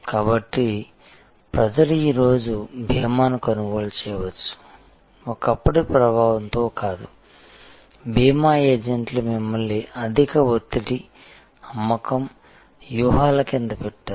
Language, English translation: Telugu, So, a people can buy insurance today, not under the influence of yesteryears, insurance agents who would have actually put you under a high pressure selling tactics